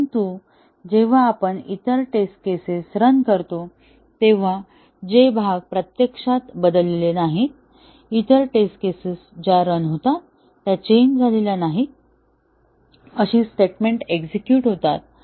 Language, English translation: Marathi, But, when we run the other test cases, the parts that are not changed actually, the test, other test cases, they run; they execute statements that have not changed